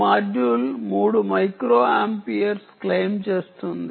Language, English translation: Telugu, this module claims its to be about three microamperes